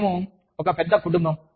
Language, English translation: Telugu, We are one big family